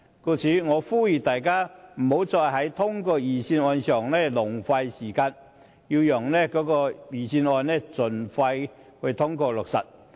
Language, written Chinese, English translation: Cantonese, 故此，我呼籲大家不要再在審議預算案上浪費時間，讓預算案盡快通過落實。, Hence I call on Members not to waste any more time in the examination of the Budget so that the Budget can be implemented expeditiously